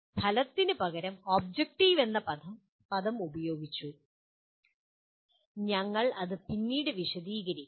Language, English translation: Malayalam, The word objective is used instead of outcome, we will explain it later